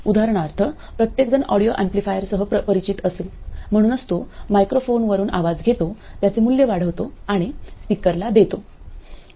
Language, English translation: Marathi, For instance everyone would be familiar with an audio amplifier so it takes the sound from the microphone, amplifies it, that is makes the value larger and place it on a loudspeaker